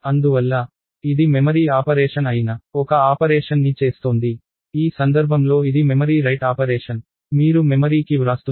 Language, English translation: Telugu, Therefore, it is doing an operation which is a memory operation, in this case it is a memory write operation, you are writing to memory